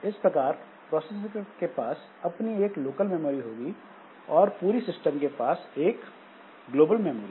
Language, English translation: Hindi, So each processor has got a local memory as well as overall system as a global memory